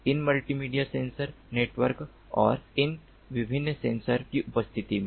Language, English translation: Hindi, multimedia sensor networks is very interesting